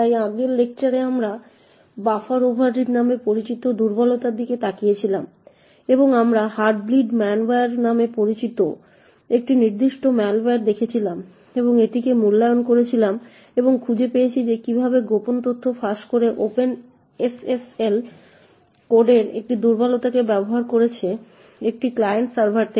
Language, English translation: Bengali, So in the previous lecture we had looked at vulnerability known as Buffer overread and we had looked at a particular malware known as the Heartbleed malware and evaluated it and found out how this had utilised a vulnerability in the Open SSL code to leak secret information from a server to a client